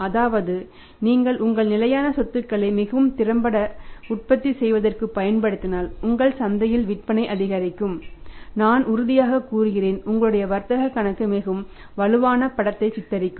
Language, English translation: Tamil, And if you are utilising a fixed assets efficiently manufacturing more selling more in the market I am sure that your trading account will be depicting a very strong picture right